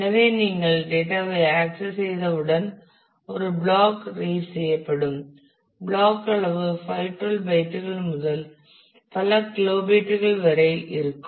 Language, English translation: Tamil, So, once you access the data one block will be read block size can range from 512 bytes to several kilobytes